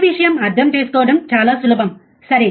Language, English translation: Telugu, It is very easy to understand this thing, right